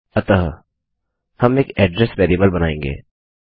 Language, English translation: Hindi, So, we will create an address variable